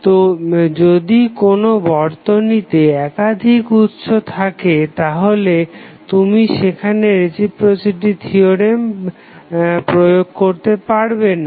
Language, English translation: Bengali, So, if there is a network were multiple sources are connected you cannot utilize the reciprocity theorem over there